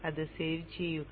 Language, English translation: Malayalam, And save that